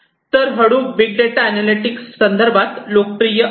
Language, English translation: Marathi, So, Hadoop is quite popular in the context of big data analytics